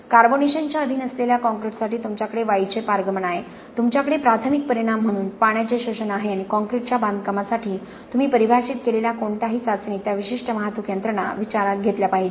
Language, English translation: Marathi, For a concrete which is subjected to carbonation you have gas permeation, you have water sorption as the primary effects and any test that you define for the concrete construction should take into account those specific transport mechanisms